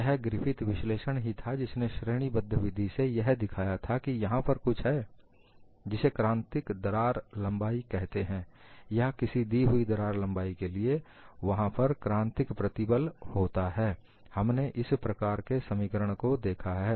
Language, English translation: Hindi, It was only Griffith’s analysis which categorically showed that, if there is something called a critical crack length or for a given crack length, there has to be a critical stress; we had looked at that kind of an expression